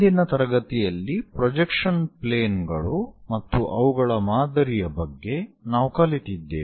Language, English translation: Kannada, In the last class, we learned about projection planes and their pattern